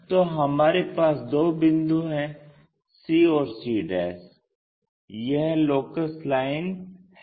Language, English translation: Hindi, So, we have two points c and c'; this is the locus line